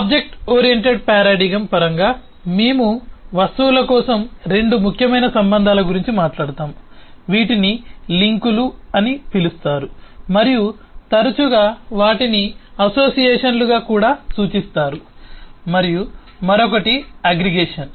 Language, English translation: Telugu, in terms of objectoriented paradigm, we talk of two important relationships for objects: one that is links, and often they are also referred to as association, and the other is aggregation